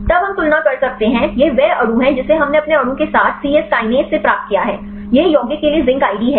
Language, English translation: Hindi, Then we can compare; this is the compound we obtained from C Yes Kinase with our molecule; this is the zinc id for the compound